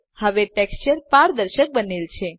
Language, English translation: Gujarati, Now the texture has become transparent